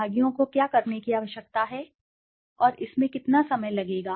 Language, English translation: Hindi, What do participants need to do and how long will it take